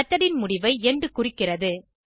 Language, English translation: Tamil, end marks the end of method